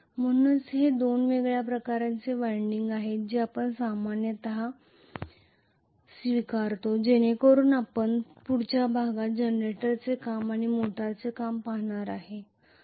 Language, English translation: Marathi, So these are the two different types of windings normally we adopt so we will look at actually the working of the generator and the working of the motor in the next class